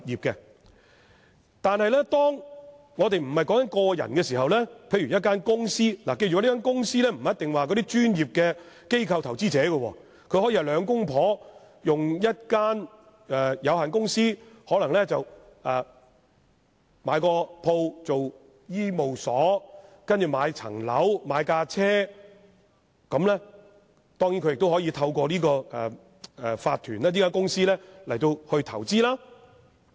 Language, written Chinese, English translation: Cantonese, 若不是個人而是公司，大家首先須記得所謂公司，並不一定是指專業的機構投資者，可以是夫婦開設的有限公司，用以購入商鋪作醫務所，繼而購買物業單位、汽車，當然也可透過這類法團、公司進行投資。, With regard to a corporation we should first bear in mind that a corporation does not necessarily refer to a corporate PI but can also be a limited company set up by a couple for the purpose of acquiring a commercial premise for running a clinic and the corporation or company so set up can then be used for acquiring residential properties motor vehicles and of course for making investments